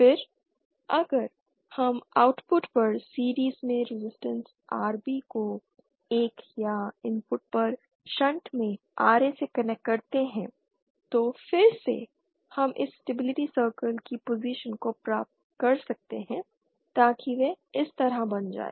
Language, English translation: Hindi, Then if we connect resistance Rb in series at the output or conductance 1 upon Ra in shunt at the input then again we can get or we can shift the positions of this stability circles, so that they become like this